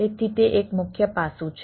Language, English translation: Gujarati, so that is one, one of the major aspects